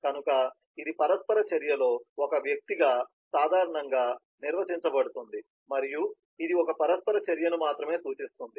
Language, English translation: Telugu, so that is generically defined as an individual participant in the interaction and it represents only one interaction entity